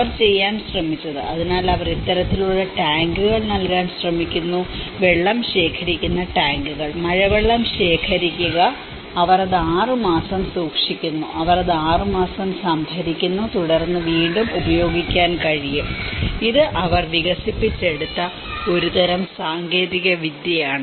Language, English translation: Malayalam, So, what they tried to do is; so they try to give this kind of tanks; water collection tanks and collecting the rainwater and they keep it for 6 months, they storage it for 6 months and then able to reuse so, this is a kind of technology which they have developed